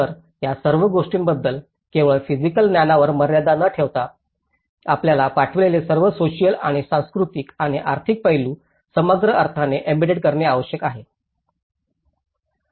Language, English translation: Marathi, So, all this putting together, apart from only limiting to the physical sense, we need to embed all the social and cultural and economic aspects sent to it in a holistic sense